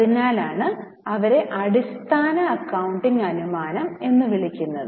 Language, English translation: Malayalam, That is why they are called as fundamental accounting assumption